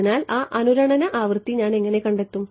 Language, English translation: Malayalam, So, how would I find that resonate frequency